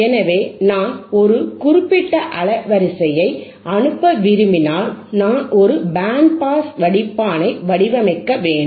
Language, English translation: Tamil, So, if I want to pass a certain band of frequency, then I hadve to design a filter which is which will be my band pass filter, right